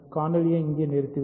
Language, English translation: Tamil, So, I will stop the video here